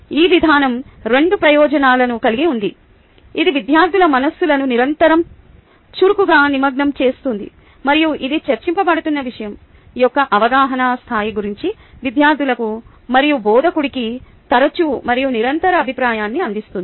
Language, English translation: Telugu, this approach has two benefits: it continuously actively engages the minds of the students and it provides frequent and continuous feedback to both the students and the instructor about the level of understanding of the subject being discussed